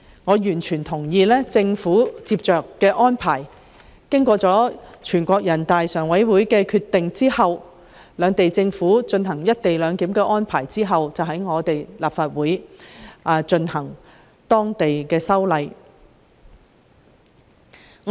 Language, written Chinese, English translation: Cantonese, 我完全同意政府作出後續安排，在獲得全國人大常委會批准兩地政府實施"一地兩檢"安排後，在立法會進行相關的本地立法工作。, I fully agree that the Government should take forward the follow - up tasks of introducing the relevant local legislation into this Council after an approval has been secured from NPCSC for the two Governments to implement co - location arrangement